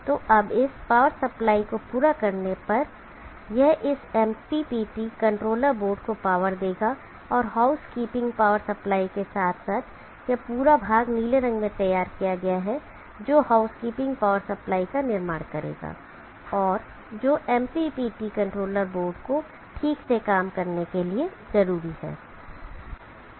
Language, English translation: Hindi, So now completing this power supply powers of this MPPT controller board and along with this house keeping power supply this whole portion return is drawn in blue will form the house keeping power supply and that is needed for the MPPT controller board to work properly